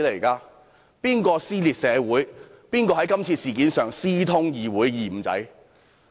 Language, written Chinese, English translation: Cantonese, 誰人撕裂社會，誰人在今次事件上私通議會"二五仔"？, Who has caused social dissension? . Who has conspired with the double - crosser in the legislature in this incident?